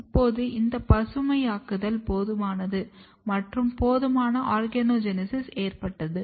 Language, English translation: Tamil, Now, once this greening is enough and there are enough organogenesis occurred